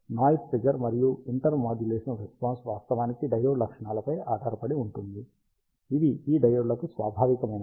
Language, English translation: Telugu, Noise figure and intermodulation response actually depends on the diode characteristics, which are inherent to these diodes